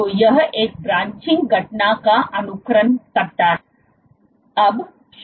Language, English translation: Hindi, So, this simulates a branching event